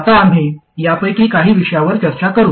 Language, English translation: Marathi, Now we will discuss a few of these issues